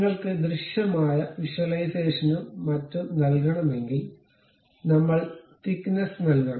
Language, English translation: Malayalam, If you want to give a solid visualization and so on, you have to really give the thickness